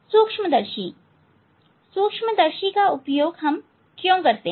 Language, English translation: Hindi, microscope, why you why we use microscope